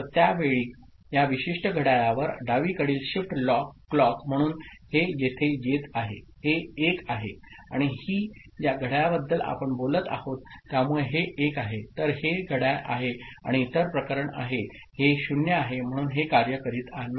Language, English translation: Marathi, So, at that time, at this particular clock so left shift clock so this is coming here this is 1 and this is the clock we are talking about so, this is 1, so this is the clock and the other case this is 0 so, this is not working